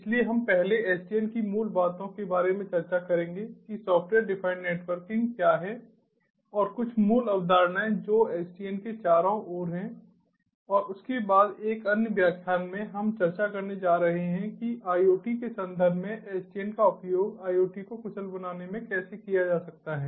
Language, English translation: Hindi, so we will discuss about the basics of sdn, first, what ah software defined networking is and some of the basic concepts that surrounds sdn, and thereafter, in another lecture, ah, we are going to discuss about how sdn can be used for ah, ah in the context of iot, to make iot efficient